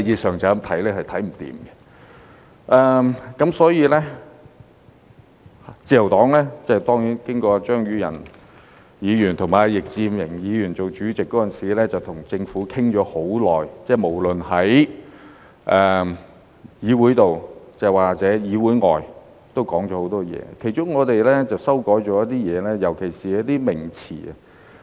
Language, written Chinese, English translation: Cantonese, 所以，自由黨......當然，張宇人議員和易志明議員當法案委員會主席時，跟政府討論了很長時間，無論是議會內外，也說了很多，其中我們曾作出一些修改，尤其是一些名詞。, Hence the Liberal Party Of course when Mr Tommy CHEUNG and Mr Frankie YICK were the Chairmen of the Bills Committees they held long discussions with the Government both inside and outside this Council and made a lot of comments . We proposed some amendments to the wording of certain terms in particular